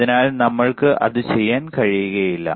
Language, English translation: Malayalam, So, we cannot do that